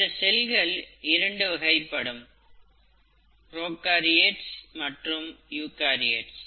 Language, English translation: Tamil, There are two major types of cells; first type is called prokaryotes, the second type is called eukaryotes